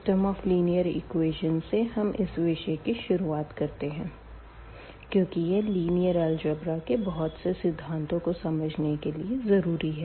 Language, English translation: Hindi, And, we will start with the system of linear equations and again this is a very important to understand many concepts in linear algebra